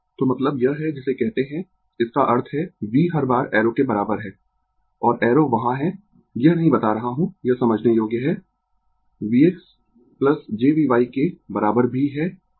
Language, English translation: Hindi, So, I mean ah this is your what you call; that means, v is equal to every time arrow and arrow is there, I am not telling it it is a understandable is equal to v x plus j V y also, right